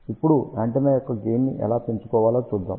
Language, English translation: Telugu, Now, let us see how we can increase the gain of the antenna